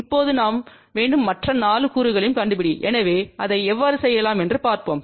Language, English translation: Tamil, Now, we need to find other 4 components also, so let us see how we can do that